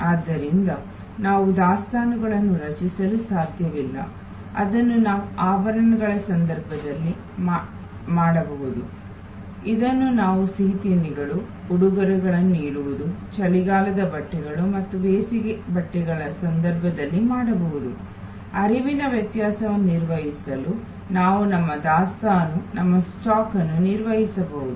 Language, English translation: Kannada, So, as a result we cannot create inventory, which we can do in case of jewelry, which we can do in case of sweets, incase of gifts, in case of winter clothes versus summer clothes, we can manage our inventory, our stock to manage the variation in the flow